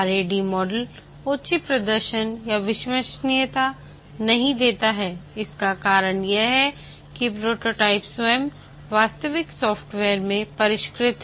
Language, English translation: Hindi, The reason why the RAD model does not give high performance and reliability is that the prototype itself is refined into the actual software